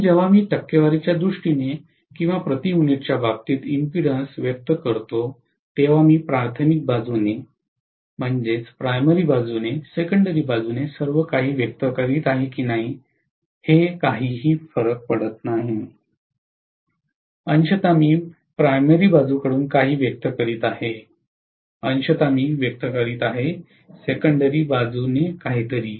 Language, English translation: Marathi, So when I expressed the impedances in terms of percentages or per unit, it really does not matter whether I am expressing everything from the primary side, everything from the secondary side, partially I am expressing something from the primary side, partially I am expressing something from the secondary side